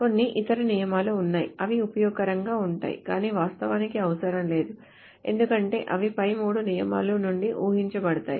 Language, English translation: Telugu, Now there are some other rules which are useful but are not actually partially needed because they can be inferred from the above three rules